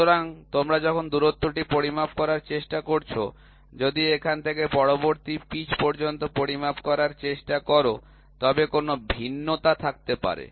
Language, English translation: Bengali, So, now when you try to measure the distance, if you try to measure from here to the next pitch maybe there will be a variation